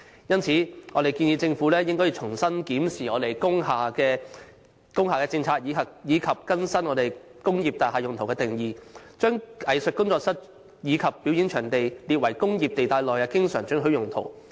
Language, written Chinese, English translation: Cantonese, 故此，我們建議政府應重新檢視工廈政策及更新"工業大廈用途"的定義，把"藝術工作室及表演場地"列為工業地帶內的經常准許用途。, Therefore we suggest that the Government should re - examine its policy in regulating industrial buildings and update the definition of Industrial Use and to make artists studios and performing venues an always permitted use in an industrial zone